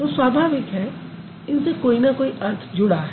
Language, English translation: Hindi, Then obviously they have some meaning associated with it